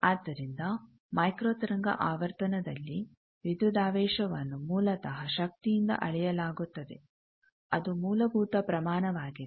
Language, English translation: Kannada, So, at micro wave frequency the voltages are basically measured from power which is a fundamental quantity